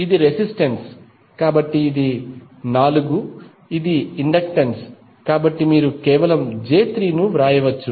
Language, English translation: Telugu, This is resistance, so this is 4, this is inductance so you can just simply write j3